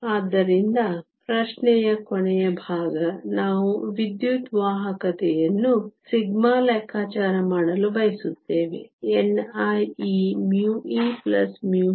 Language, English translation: Kannada, So, the last part of the question, we want to calculate the electrical conductivity sigma is nothing but n i e mu e plus mu h